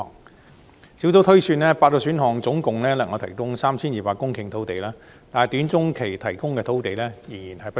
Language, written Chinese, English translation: Cantonese, 專責小組推算8個選項能夠提供 3,200 公頃土地，但短中期提供的土地仍然不足。, According to the projection of the Task Force the eight options will be able to provide a total of 3 200 hectares of land although there will still be a shortfall in land supply in the short - to - medium term will still remain